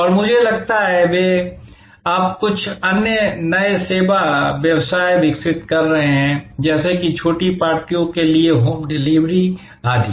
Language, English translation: Hindi, And I think, they are now developing certain new other service businesses like home delivery of for smaller parties, etc